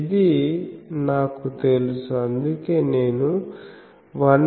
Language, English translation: Telugu, So, I knew this that is why I wrote that 1